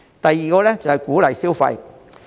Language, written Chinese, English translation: Cantonese, 第二，是鼓勵消費。, Second it should encourage spending